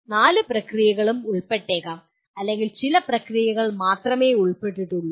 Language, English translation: Malayalam, All the four processes may be involved or only some processes are involved